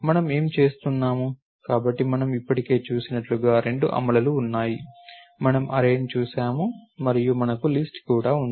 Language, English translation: Telugu, What we doing is, so there are two implementations as we have already saw, we saw the array and we also have list